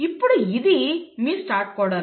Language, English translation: Telugu, Now this is your start codon